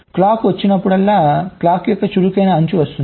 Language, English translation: Telugu, so you see, whenever a clock comes, the active edge of the clock comes